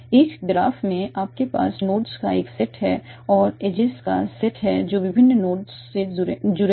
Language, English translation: Hindi, In a graph you have a set of nodes and set of edges that are connecting different nodes